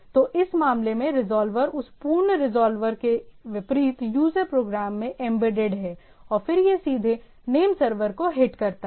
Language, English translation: Hindi, So, in this case the resolver is embedded in the user program unlike that full resolver and then it goes on directly hitting to the name server